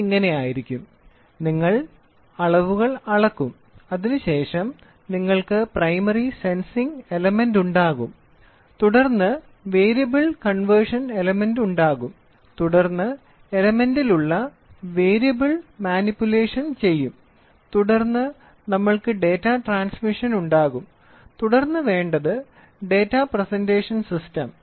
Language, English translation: Malayalam, So, it will be like this so you will have measuring quantity, then you will have Primary Sensing Element measure it and then what we have is we will have Variable Conversion Element then we will try to have Variable Manipulation on Element, then we will have Data Acquisition or a Data Transmission, right and then what we do is Data Presentation System